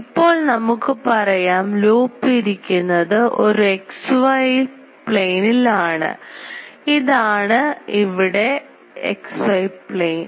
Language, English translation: Malayalam, Let us say the loop is placed in the xy plane here is it is the xy xy plane